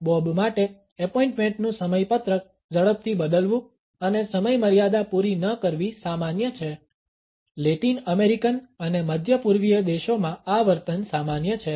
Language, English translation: Gujarati, For Bob it is normal to quickly change appointment schedules and not meet deadlines this behavior is common in Latin American and middle eastern countries